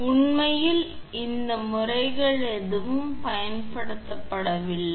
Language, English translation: Tamil, So, in reality these methods are not used